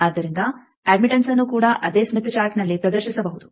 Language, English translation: Kannada, So, admittance also can be displayed on the same smith chart